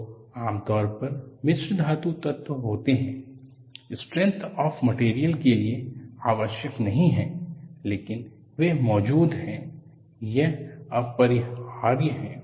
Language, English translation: Hindi, They are usually alloying elements, not essential to the strength of the material, but they are present, it is unavoidable